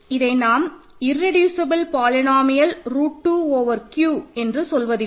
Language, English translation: Tamil, So, we do not call it the irreducible polynomial root 2 over Q ok